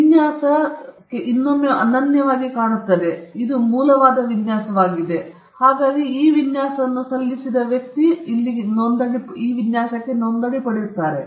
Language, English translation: Kannada, Design, again, the design looks unique, it is original, and you are the first person to file that design, it gets a registration